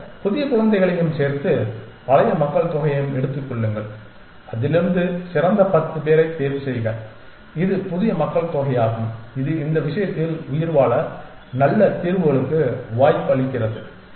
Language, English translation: Tamil, Then take the new children plus the old population and from that choose the best ten and that is the new population which gives a chance for good solutions to survive in this case essentially